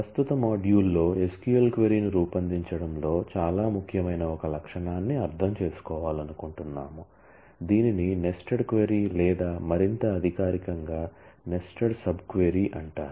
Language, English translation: Telugu, In the current module, we want to understand a feature which is very very important in SQL query forming it is called the nested query or more formally nested sub query